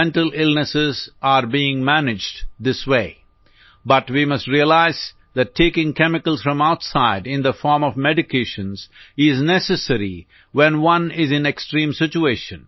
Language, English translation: Hindi, Mental illnesses are being managed this way but we must realize that taking chemicals from outside in the form of medications is necessary when one is in extreme situation